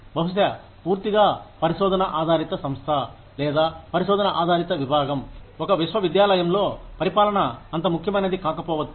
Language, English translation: Telugu, Maybe, in a purely research based organization, or a research based department, in a university, administration may not be, so important